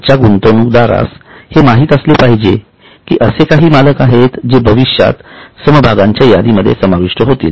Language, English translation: Marathi, So, today's investors should know that there are some owners which are in future going to be included in the list of shares